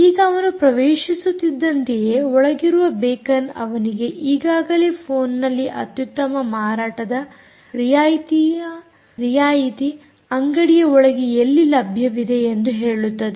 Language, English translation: Kannada, now, as he enters, beacons inside are already telling the user on the phone about where the best discount sale is available inside the shop